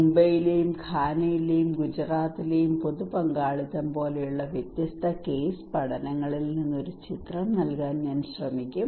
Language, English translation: Malayalam, I will try to give a picture from different case studies like public participations in Mumbai, in Ghana and also in Gujarat okay